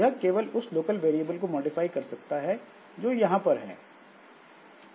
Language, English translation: Hindi, So it can modify only the local variables that are here